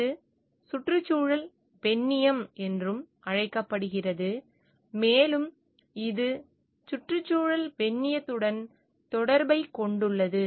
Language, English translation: Tamil, This is also called ecofeminism and it is a connection with eco feminism